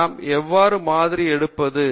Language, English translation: Tamil, So how should we sample